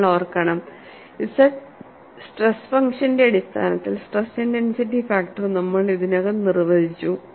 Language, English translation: Malayalam, And you have to recall, we have already defined the stress intensity factor in terms of the stress function capital Z